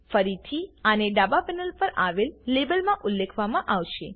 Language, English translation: Gujarati, Again, this will be mentioned in the Label on the left panel